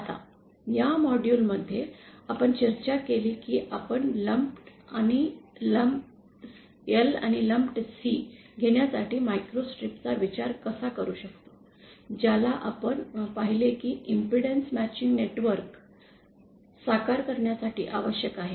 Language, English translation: Marathi, Now in this module, what we discussed were how we can use a microstrip to realise a lumped L and lumped C that we discussed, that we saw are necessary for realising an impedance matching network